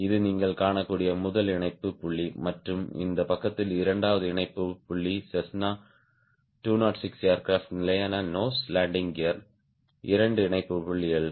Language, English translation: Tamil, this is the first attachment point you can see and the second attachment point on this side, the two [attach/attachment] attachment points on a fixed nose landing gear of cessna two zero six aircraft